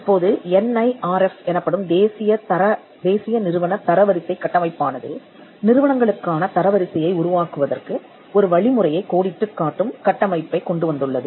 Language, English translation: Tamil, Now, the NIRF, the National Institute Ranking Framework has come up with the framework which outlines a methodology for ranking institutions